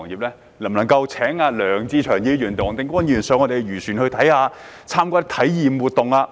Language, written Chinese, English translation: Cantonese, 例如，可否邀請梁志祥議員和黃定光議員登上漁船，參加體驗活動？, For example can we invite Mr LEUNG Che - cheung and Mr WONG Ting - kwong on board the fishing boats to join an experience activity?